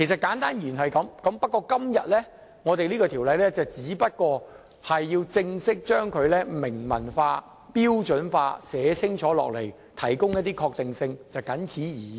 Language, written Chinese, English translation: Cantonese, 簡單而言是這樣，今天我們只是正式將之明文化，標準化，寫清楚，提供一些確定性，謹此而已。, What we are doing today is just documentation standardization and clarification for providing some degree of certainty